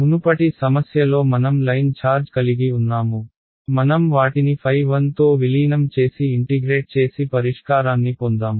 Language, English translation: Telugu, In the previous problem where we had the line charge we just took them discretize phi 1 integrated and got the solution